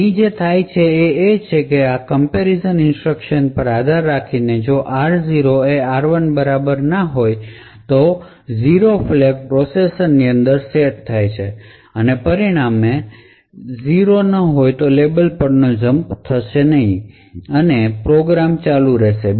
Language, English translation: Gujarati, So what happens over here is that depending on this comparison instruction if r0 is equal to r1, then the 0 flag is set within the processor and as a result this jump on no 0 would not cause a jump and the program will continue to execute